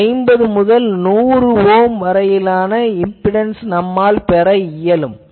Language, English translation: Tamil, So, 50 Ohm to 100 Ohm impedance can be achieved from this